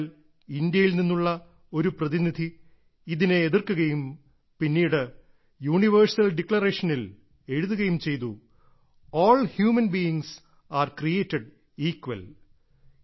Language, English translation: Malayalam, But a Delegate from India objected to this and then it was written in the Universal Declaration "All Human Beings are Created Equal"